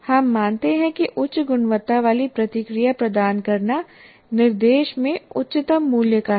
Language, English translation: Hindi, And that is where we consider providing high quality feedback is the highest priority in instruction